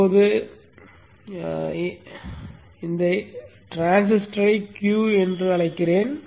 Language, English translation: Tamil, Now let me call this transistor as Q